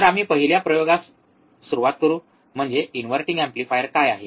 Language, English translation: Marathi, So, we will start with the first experiment, that is the inverting amplifier